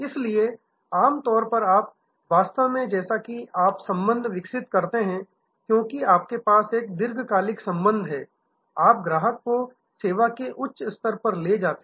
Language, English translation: Hindi, So, normally you actually as you develop the relationship as you have a longer term relationship, you move the customer to a higher tier of service level